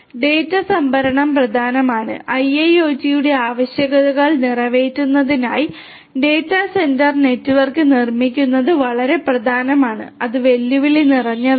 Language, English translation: Malayalam, Storage of the data is important and building of the data centre network for catering to the requirements of IIoT is very important and is challenging